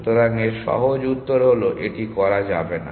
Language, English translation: Bengali, So, so simple answer is it cannot